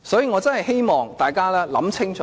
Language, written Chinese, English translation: Cantonese, 我真的希望大家想清楚。, I do hope we can ponder over this